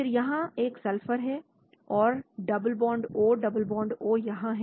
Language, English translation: Hindi, Again, this has a sulphur and double bond O double bond O here